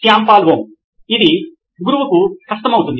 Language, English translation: Telugu, Shyam Paul M: That will be difficult for the teacher